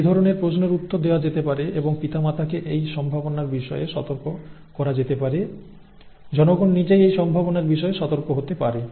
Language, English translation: Bengali, Okay, these kind of questions can be answered and the parents can be alerted to these possibilities, the people can themselves be alerted to these possibilities